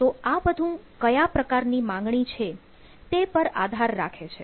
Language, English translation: Gujarati, so it all depends that what sort of demand demands you are having